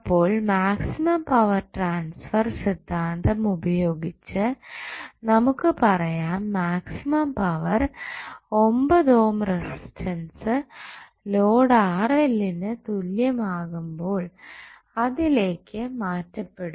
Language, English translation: Malayalam, Now, using maximum power transfer theorem, what you can say that the maximum power will be transferred only when the 9 ohm resistance is equal to the load that is Rl